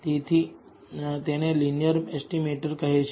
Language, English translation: Gujarati, Therefore, it is known as a linear estimator